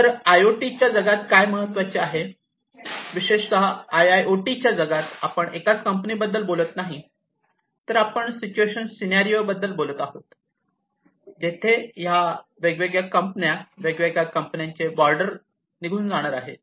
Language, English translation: Marathi, So, what is important in the IoT world; IIoT world, more specifically, is we are talking about not a single company, but we are talking about a situation a scenario, where these different companies, the borders between these different companies are going to be removed